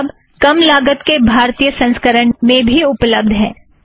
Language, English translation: Hindi, This book is available in a low cost Indian edition as well